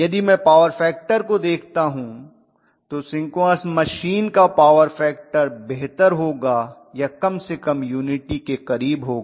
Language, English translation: Hindi, If I look at the power factor in all probability synchronous machine power factor will be much better or at least close to unity